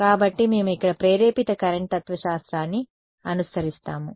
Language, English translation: Telugu, So, we follow the induced current philosophy over here ok